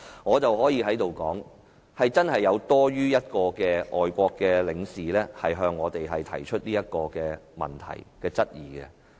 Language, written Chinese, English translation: Cantonese, "我可以在這裏說，真的有多於一位外國領事向我們提出這項質疑。, I can say here that more than one foreign consul have really put such a query to us